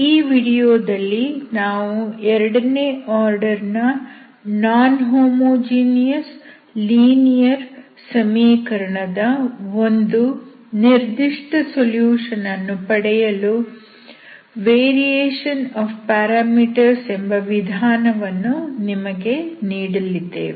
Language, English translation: Kannada, So in this video we will give you the method called the variation of parameters to find the particular solution of a non homogeneous second order linear equation, okay